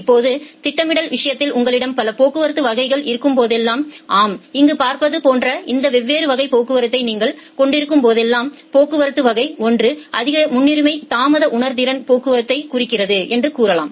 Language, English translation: Tamil, Now, in case of scheduling whenever you have this different classes of traffic like what we say here that we have multiple traffic classes here, say the traffic class 1 denotes the high priority delay sensitive traffic